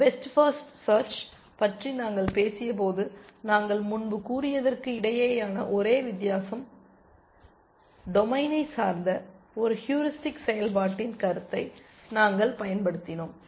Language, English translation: Tamil, The only difference between what we said earlier when we talked about best first search, we used a notion of a heuristic function which was domain dependent